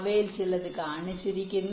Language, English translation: Malayalam, so here some example is shown